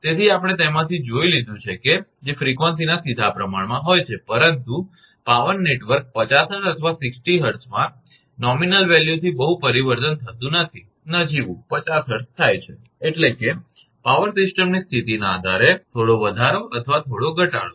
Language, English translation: Gujarati, So, we have seen from that which has directly proportional to the frequency, but in a power network 50 hertz or 60 hertz there is not much change from the nominal value, nominal is 50 hertz that means, the slight increase or slight decrease depending on the power system condition